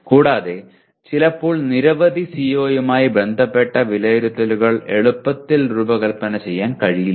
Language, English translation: Malayalam, And also sometimes assessments related to several CO cannot be easily designed